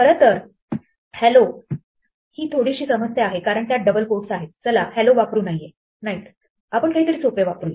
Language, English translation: Marathi, Actually "hello" is a bit of problem because it has double quotes let us not use hello let us use something simpler